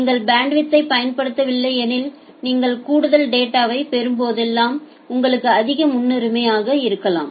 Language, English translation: Tamil, If you are not utilizing the bandwidth then whenever you are getting some additional data that may be of higher priority to you